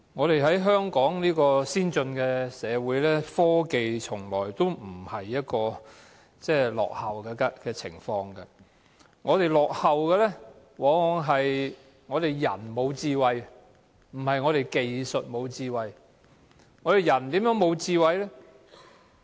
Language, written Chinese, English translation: Cantonese, 身處香港這個先進社會，科技從來也不落後，我們落後的往往是人沒有智慧，而不是技術沒有智慧。, Hong Kong is a developed community and our technology has never fallen behind others . We lag behind others for the lack of smartness in our people not in our technology